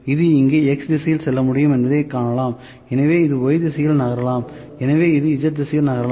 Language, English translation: Tamil, So, in this we can see that this can move in X direction here so, this can move in Y direction so, this can move in Z direction, ok